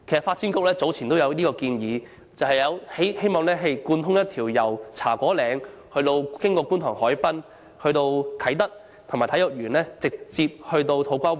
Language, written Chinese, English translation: Cantonese, 發展局曾提出建議，設立一條單車徑，貫通茶果嶺、觀塘海濱及啟德體育園區，直往土瓜灣。, The Development Bureau proposed building a cycle track connecting Cha Kwo Ling Kwun Tong Promenade Kai Tak Sports Park and To Kwa Wan